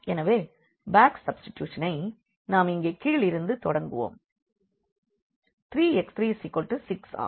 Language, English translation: Tamil, So, back substitution we will start from the bottom here where the 3 is equal to 6